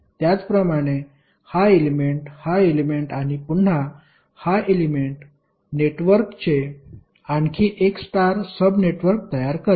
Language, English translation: Marathi, Similarly, this element, this element and again this element will create another star subsection of the network